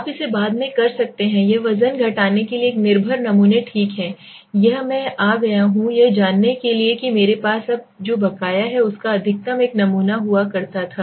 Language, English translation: Hindi, You can later on do it, this is for a weight deduction is a dependent samples okay, this is I come to know what happens I have now arrear I used to have maximum one sample